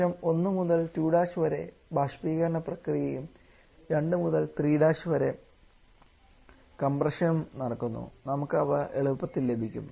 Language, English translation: Malayalam, Now having the evaporation process from 1 to 2 prime and then the compression from 2 to 3 Prime is again not too much problematic we can easily get them